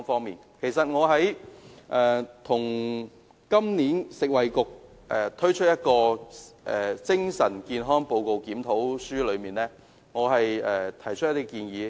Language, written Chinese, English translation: Cantonese, 就食物及衞生局今年發表的《精神健康檢討委員會報告》，我曾提出若干建議。, I have made certain proposals in respect of the Report of the Review Committee on Mental Health the Report issued by the Food and Health Bureau this year